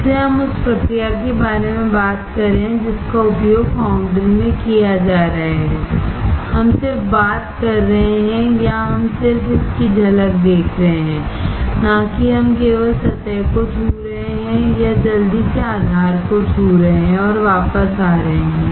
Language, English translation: Hindi, So, we are talking about the process that is used in foundry we are just talking, or we are just looking the glimpse of it, not we are just touching the surface or quickly touching the base and coming back